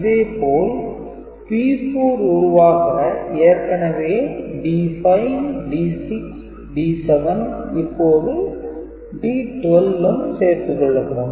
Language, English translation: Tamil, So, to get P 1, so D 3, D 5, D 6, D 7, this is D 9, D 10, D 11, and this is D 12